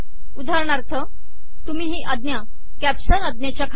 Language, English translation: Marathi, For example you give this command below the caption command